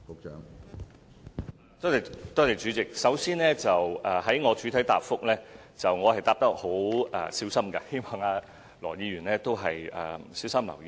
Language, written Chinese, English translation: Cantonese, 主席，第一，我在作出主體答覆時是十分小心，希望羅議員也留意。, President first I was very careful when I made the main reply . I wish Mr LAW would also pay attention